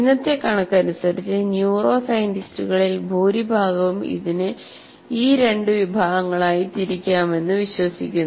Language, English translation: Malayalam, This is how majority of the neuroscientists, as of today, they believe it can be classified into two categories